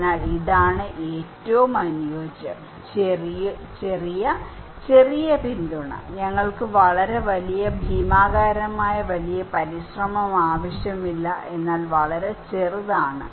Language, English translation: Malayalam, So, this is the ideal the small, small support, we do not need a very gigantic bigger effort but very small